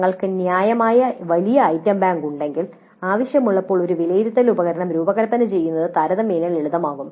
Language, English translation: Malayalam, If you have a reasonably large item bank then it becomes relatively simpler to design an assessment instrument when required